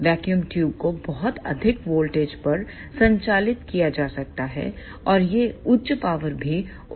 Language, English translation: Hindi, The vacuum tubes can be operated at very high voltages